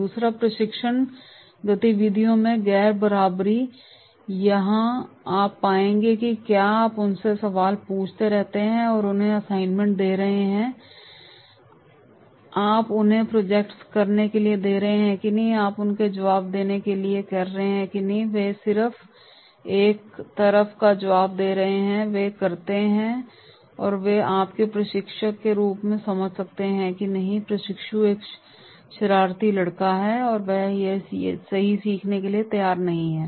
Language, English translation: Hindi, Second is nonparticipation in the training activities, here you will find that is you keep on asking them the questions, you are giving them assignments, you are asking them to do the projects, you are asking them to response and then they just one side response they do and then you can understand as a trainer that is no, this trainee is a naughty boy, he is not ready to learn right